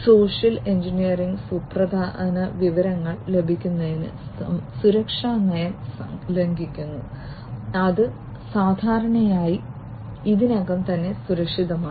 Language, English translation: Malayalam, Social engineering breaks the security policy to get critical information, which is typically already secured